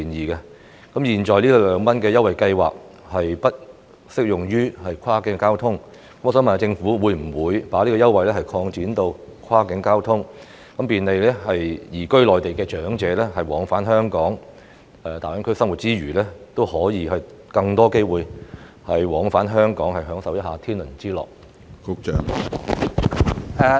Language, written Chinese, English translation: Cantonese, 由於現行的二元優惠計劃不適用於跨境交通，我想問政府會否將這項優惠計劃擴展至跨境交通，以便利移居內地的長者往返香港，讓他們在大灣區生活之餘，也可以有更多機會往返香港享受一下天倫之樂？, As the prevailing 2 Scheme is not applicable to cross - boundary transport may I ask whether the Government will extend this concession scheme to cross - boundary transport so as to facilitate the elderly who have moved to reside in the Mainland in travelling to and from Hong Kong thereby giving them more opportunities to travel to and from Hong Kong to spend time with their families while residing in GBA?